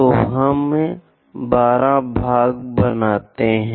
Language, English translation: Hindi, So, we make 12 parts